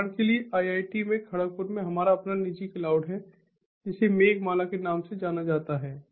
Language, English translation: Hindi, so, for example, in iit kharagpur we have our own private cloud, which is known as the meghamala